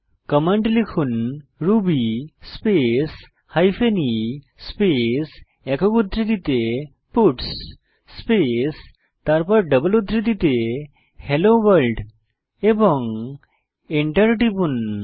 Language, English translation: Bengali, Type the command ruby space hyphen e space within single quotes puts space then within double quotes Hello World and Press Enter